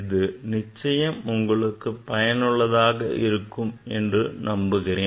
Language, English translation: Tamil, Hopefully it will be useful for you